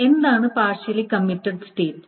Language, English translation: Malayalam, So, what is a partially committed state